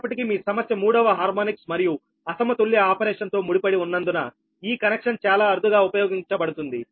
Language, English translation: Telugu, however, because of the, because of the, your problem is associated with the third harmonics and unbalanced operation